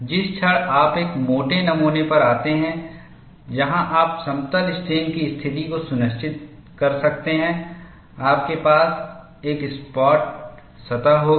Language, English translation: Hindi, The moment you come to a thick specimen, where you could ensure plane strain situation, you will have a flat surface